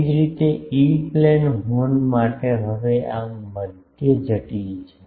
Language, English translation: Gujarati, Similarly, for E plane horns, now it is a mid complicate this